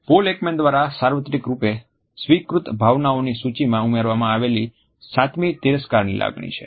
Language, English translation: Gujarati, The seventh emotion which was added to the list of universally acknowledged emotions by Paul Ekman was contempt